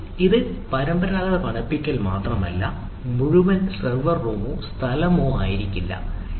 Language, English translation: Malayalam, it is not conventional cooling of the may not be the whole ah server room of the space, it is